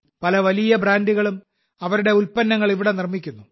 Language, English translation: Malayalam, Many big brands are manufacturing their products here